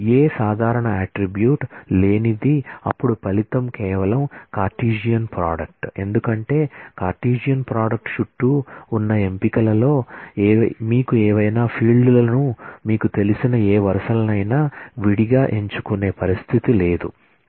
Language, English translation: Telugu, Which do not have any common attribute then the result is merely the Cartesian product because the selection around the Cartesian product has no condition to select any of the you know any of the fields any of the rows separately